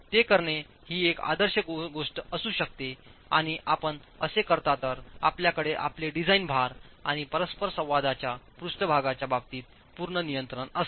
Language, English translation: Marathi, That may be the ideal thing to do, and if you do that, you have complete control in terms of your design loads and the interaction surface itself